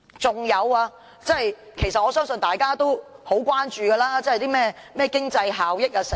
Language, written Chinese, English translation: Cantonese, 此外，我相信大家其實也很關注經濟效益等事宜。, Moreover I believe Members are actually very concerned about matters relating to economic benefits